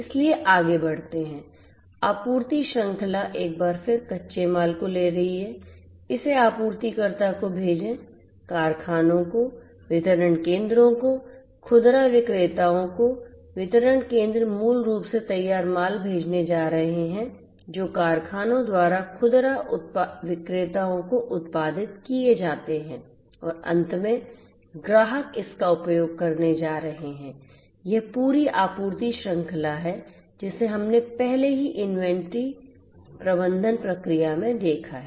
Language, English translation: Hindi, So, going forward, so you know the supply chain once again is going to take the raw materials send it to the supplier goes to the factory, to the distribution centers, to the retailers the these distribution you know centers basically are going to send the finished goods, that are produced by the factories to the retailers and finally, the customers are going to use it this is this whole supply chain that we have already seen in the inventory management process